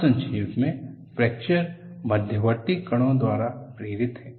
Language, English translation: Hindi, And in essence, fracture is induced by intermediate particles